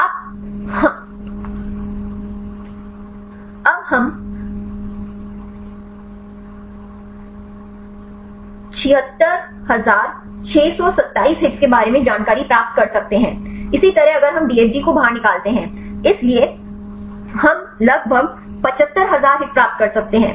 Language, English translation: Hindi, You can the in conformation we will get about a 76627 hits; likewise if we take the DFG out conformation; so, we can get about 75000 hits